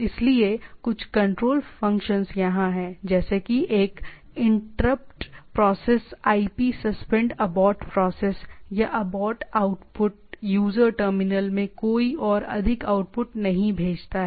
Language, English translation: Hindi, So, some of the control functions are here, like one is Interrupt Process IP suspend abort process; or abort output sends no more output to the user terminal